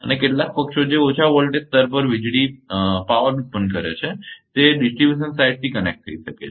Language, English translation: Gujarati, And some some parties which are power generating power at low voltage level may be connected to that distribution side